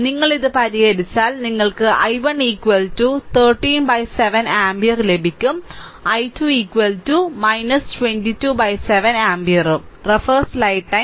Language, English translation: Malayalam, If you solve it, you will get i 1 is equal to 13 by 7 ampere; and i 2 is equal to minus 22 by 7 ampere right